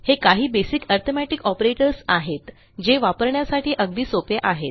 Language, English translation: Marathi, So, these are the basic arithmetic operators which are simple to use